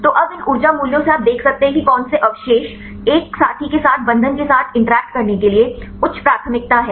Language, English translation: Hindi, So, now, from these energy values you can see which residues are high preference to interact with the binding with a partner